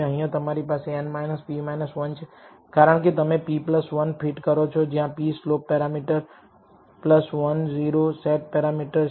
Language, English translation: Gujarati, Here you have n minus p minus 1 because you are fitting p plus 1 parameters p is slope parameters plus 1 o set parameter